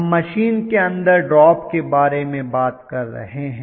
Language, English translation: Hindi, We are talking about the drop within the machine